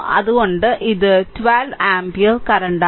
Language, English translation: Malayalam, So, this is 12 ampere current right